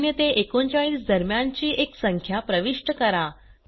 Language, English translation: Marathi, Press Enter Enter a number between of 0 to 39